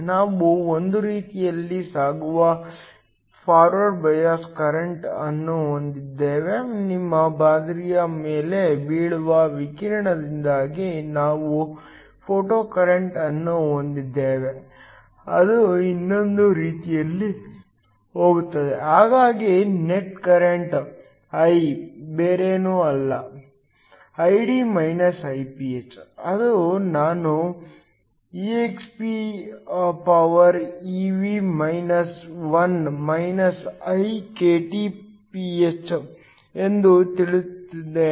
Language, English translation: Kannada, We have a forward bias current that goes in one way, we have a photocurrent due to the radiation that falls on your sample that goes the other way so the net current I, is nothing but Id Iph which is just Isoexp evkT 1 Iph